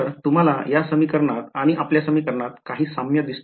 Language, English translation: Marathi, So, do you see any similarity between this equation and our equation